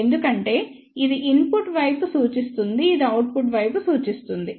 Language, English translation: Telugu, Because, this represents the input side this represents the output side